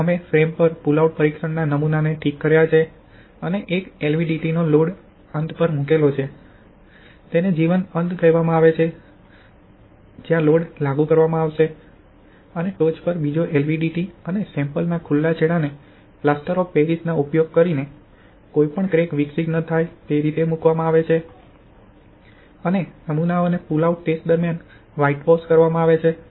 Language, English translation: Gujarati, Now we have fixed the pull out test specimen on the frame and place the one LVDT at the loaded end, it is called live end where load will be applied and another LVDT at the top, free end and the specimens are whitewashed using Plaster of Paris to absorb any crack developing during the pull out test